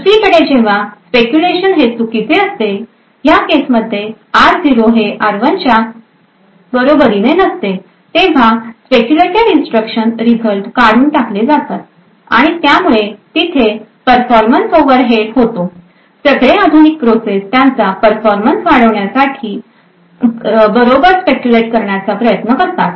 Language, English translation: Marathi, On the other hand when the speculation is wrong as in this case r0 not equal to r1 then all the speculated result should be discarded and there would be a performance overhead, all modern processes try to speculate correctly in order to maximize their performance